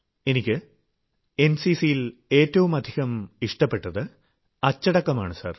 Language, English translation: Malayalam, Sir, the best thing I like about the NCC is discipline